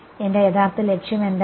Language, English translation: Malayalam, What was my original objective